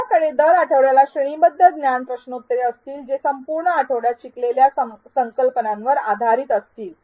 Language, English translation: Marathi, You will also have one graded knowledge quiz every week which will be based on the concepts covered in the whole week